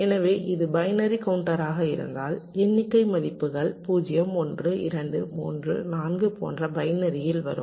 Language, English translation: Tamil, so if it is binary counter, the count values will come like this: binary: zero, one, two, three, four, like this